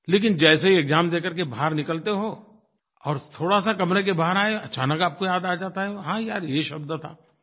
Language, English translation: Hindi, But as soon as you finish the examination and exit from the examination hall, suddenly you recollect that very word